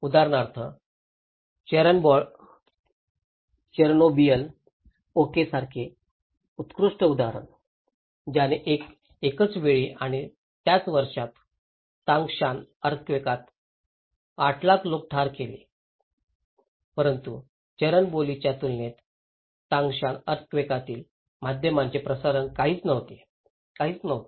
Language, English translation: Marathi, For example, a very good example like Chernobyl okay, that killed only 31 deaths and Tangshan earthquake at the same time and same year killed 800,000 people but compared to Chernobyl the media coverage of Tangshan earthquake is nothing, was nothing